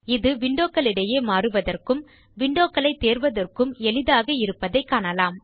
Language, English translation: Tamil, You can see that switching off windows is easy also you can see selection of windows